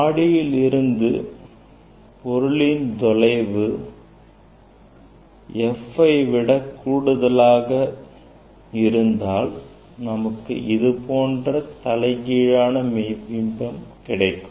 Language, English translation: Tamil, That image since distance is greater than F, we will get the inverted image and real image